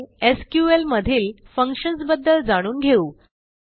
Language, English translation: Marathi, Next, let us learn about using Functions in SQL